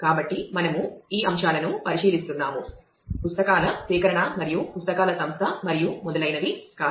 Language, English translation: Telugu, So, we are just looking into these aspects not the procurement of books and organization of the books and so on